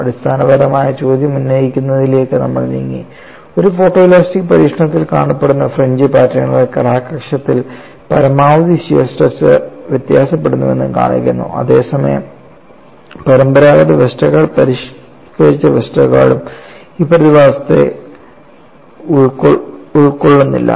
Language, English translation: Malayalam, Then we moved on to raising the fundamental question, the fringe patterns that has seen in a photoelastic experiment show that maximum shear stress varies along the crack axis, whereas the conventional Westergaard and modified Westergaard do not capture this phenomena